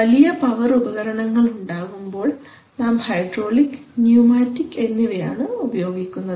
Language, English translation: Malayalam, So when we have large power devices we use hydraulic and pneumatic